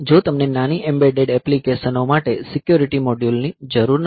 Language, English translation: Gujarati, So, if you do not need the security modules for small embedded applications